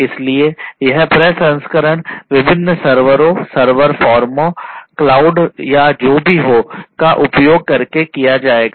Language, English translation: Hindi, So, this processing will be done using different servers, server firms, cloud or, whatever